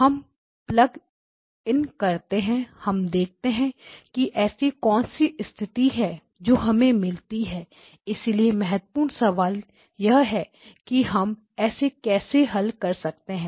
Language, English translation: Hindi, We plug in we see what is the condition that we get so the key question is how do we solve it